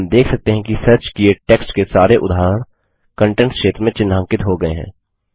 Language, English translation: Hindi, We see that all instances of the search text are highlighted in the Contents area